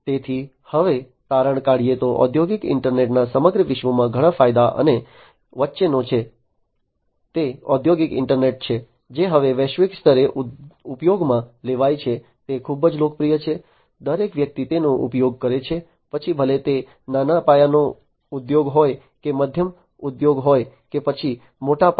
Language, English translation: Gujarati, So, now to conclude industrial internet has many benefits and promises across the globe, it is industrial internet is now globally used it is quite popular, everybody is using it whether it is a small scale industry or a medium scale industry, or a large scale industry